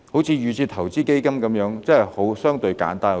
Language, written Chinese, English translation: Cantonese, 正如預設投資策略成分基金，真的相對簡單得多。, A case in point is the DIS constituent funds which are really much simpler